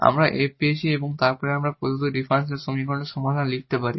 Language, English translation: Bengali, By substituting the c 1 we got f and then we can write down the solution of the given differential equation